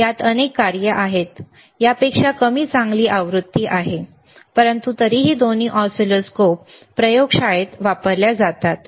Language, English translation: Marathi, tThis has multiple functions, fewer better version than this one, but still both the both the oscilloscopes are used in the laboratory